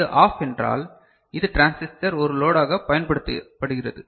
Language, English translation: Tamil, If this is OFF; so this is the transistor is used as a load